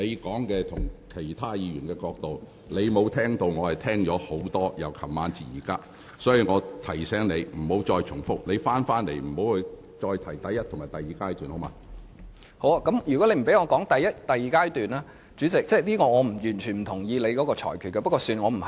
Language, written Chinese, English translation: Cantonese, 好的，如果你不讓我提述第一及第二階段......主席，我完全不同意你的裁決。, If you do not allow me to refer to the first and second phases President I totally disagree with your ruling but I am not going to engage you in an argument here